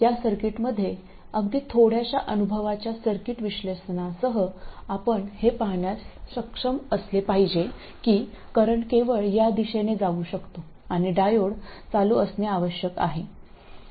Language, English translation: Marathi, In fact in this circuit with even a very little bit of experience in circuit analysis, you should be able to see that the current can only go in this direction and the diode has to be on